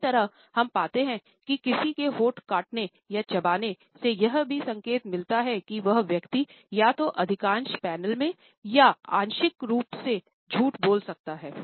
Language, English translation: Hindi, Similarly, we find that biting on one’s lips or chewing on the lip, it is also an indication that the person may be lying either in a blatent panel or even in partially